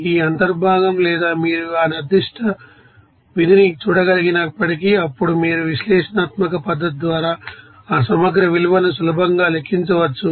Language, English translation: Telugu, Even if you know that you know integral or you can see that particular function then you can easily calculate that integral value by analytical method